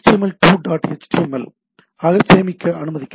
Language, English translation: Tamil, So, the page can be dot html or htm